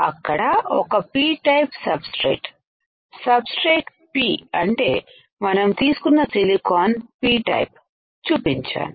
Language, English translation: Telugu, There is a P type substrate, substrate is P type means silicon we have taken which is P type